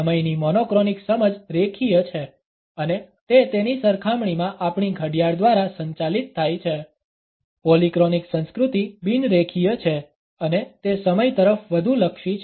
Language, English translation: Gujarati, A monochronic understanding of time is linear and it is governed by our clock in comparison to it, a polychronic culture is a non linear one and it is more oriented towards time